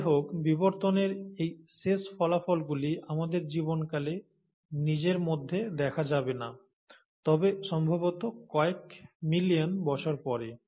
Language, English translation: Bengali, However, the end results of these evolutions are not going to be seen in our own lifetimes, but probably in millions of years down the line